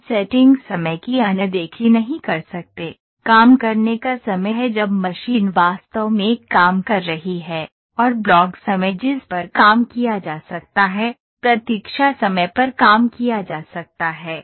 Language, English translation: Hindi, Just is the blocks time or setting time setting time we cannot ignore, working time is when the machine is actually working, and block time yes that can be worked on waiting time can be worked on